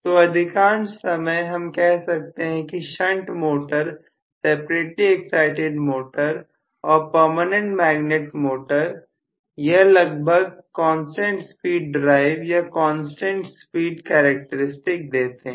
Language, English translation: Hindi, So most of the time we can say shunt motor, separately excited motor or permanent magnet motor, all of them will be fairly constant speed drives or constant speed characteristics